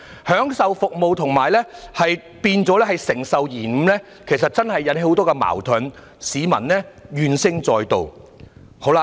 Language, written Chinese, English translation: Cantonese, 享受服務變了承受延誤，其實真的引起了很多矛盾，令市民怨聲載道。, People have no choice but to accept it . We are supposed to enjoy the train service but it turns into service delays . Many disputes and public grievances are thus created